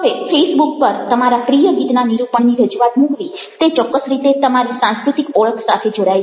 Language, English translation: Gujarati, now, the presentation of your depiction of your favorite song on a face book in certain ways get link to your cultural identity